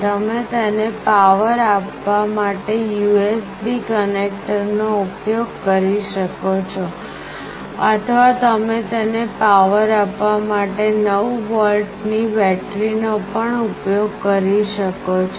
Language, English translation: Gujarati, You can use the USB connector to power it, or you can also use a 9 volt battery to power it